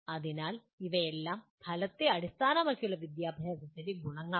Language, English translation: Malayalam, So these are all the advantages of outcome based education